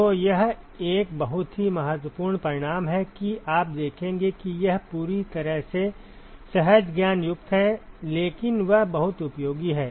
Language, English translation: Hindi, So, that is a very very starking result that you will see it is completely counter intuitive, but it is very very useful